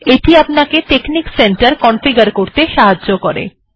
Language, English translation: Bengali, It helps you on how to configure texnic center